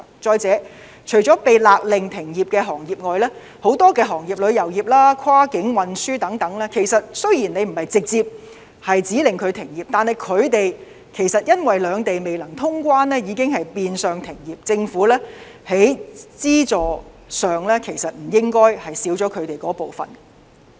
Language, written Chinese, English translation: Cantonese, 再者，除了被勒令停業的行業外，很多行業，例如旅遊業、跨境運輸等，雖然政府沒有直接指令他們停業，但他們因為兩地未能通關，已經變相停業，政府在資助方面不應不考慮他們的景況。, Moreover apart from those trades which are ordered to suspend operation many other businesses such as the tourism industry and cross - boundary transportation industry have virtually closed down even though the Government has not official imposed a ban on their operation as a result of the shutdown of cross - boundary movement . For that reason the Government should take their plight into account when considering offering financial assistance